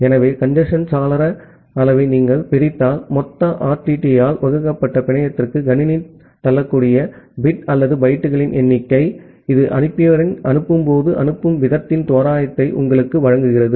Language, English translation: Tamil, So, if you divide the congestion window size that means, the number of bit or the number of bytes that the system can push to the network divided by the total RTT, that gives you an approximation of the sending rate, when the sender is sending data at a rate of congestion